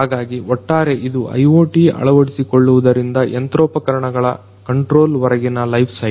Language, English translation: Kannada, So, this is overall the entire lifecycle of IoT deployment till you know control of machinery this is over all the lifecycle